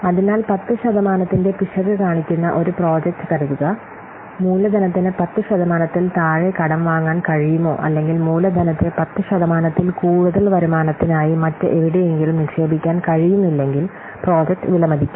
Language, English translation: Malayalam, So, suppose a project that shows an IRR of 10% it would be worth if the capital could be borrowed for less than 10% or the capital it could not be invested in a annual show here for a return greater than 10%